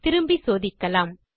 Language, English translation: Tamil, Lets go back and check